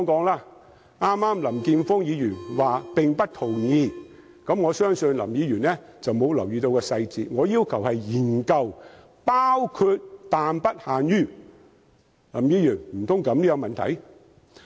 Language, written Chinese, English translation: Cantonese, 林健鋒議員剛才說不同意我的修正案，我相信林議員沒有留意細節，我要求的是研究"包括但不限於"，難道這樣也有問題嗎？, A moment ago Mr Jeffrey LAM said that he did not agree with my amendment . I think Mr LAM has not paid attention to the details . My demand is that study should be undertaken for the development of tourist attractions including but not limited to the said project